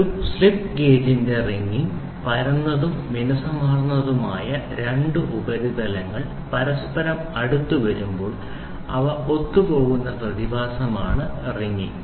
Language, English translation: Malayalam, Wringing of a slip gauge; wringing is the phenomenon of adhesion of two flat and smooth surfaces when they are brought in close contact with each other